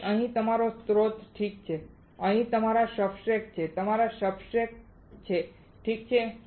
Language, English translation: Gujarati, So, here is your source alright here are your substrates here are your substrates alright